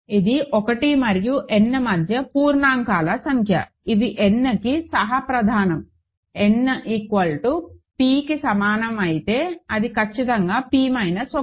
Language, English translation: Telugu, This is the number of integers between 1 and n that are co prime to n; for n equal to p that is exactly p minus 1